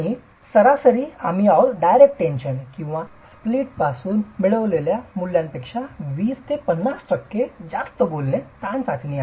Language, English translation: Marathi, And on an average we are talking of 20 to 50% higher than the values obtained from a direct tension or a split tension test